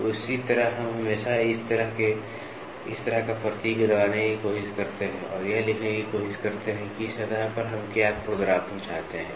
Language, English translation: Hindi, So, in a similar manner we always try to put a symbol like this and try to write what is the roughness we want on the surface to do